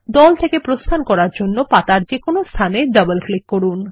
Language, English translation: Bengali, To exit the group, double click anywhere on the page